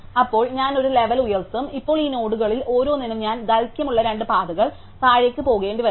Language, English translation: Malayalam, Then, I will up one level and now for each of these nodes I will have to possibly go down 2 paths of length 2